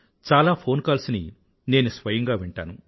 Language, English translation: Telugu, I listen to many phone calls too